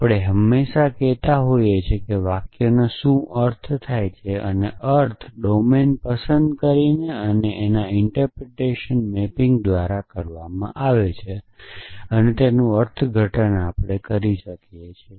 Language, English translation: Gujarati, Always saying is that we can interpret what does the sentence mean and the meaning is given by a choosing a domain and choosing an interpretation mapping